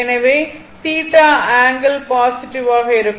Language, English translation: Tamil, So, theta will be negative right